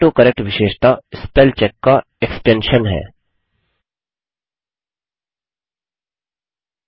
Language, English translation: Hindi, The AutoCorrect feature is an extension of Spellcheck